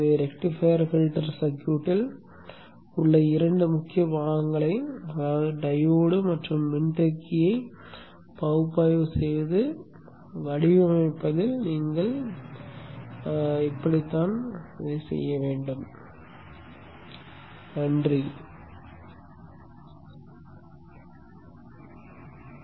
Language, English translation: Tamil, So this is how you would go about analyzing and designing the two important components in the rectifier filter circuit which is the diode and the capacitor